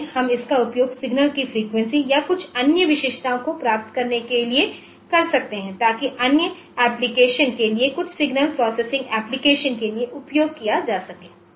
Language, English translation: Hindi, So, later on we can use it for getting the frequency or some other features of the of the signal so that can be used for some other application some for signal processing application